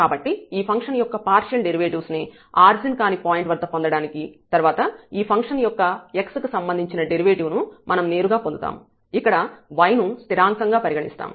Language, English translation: Telugu, So, to get the partial derivative of this function at this non origin point, then we have to we can just directly get the derivative of this function with respect to x treating this y as constant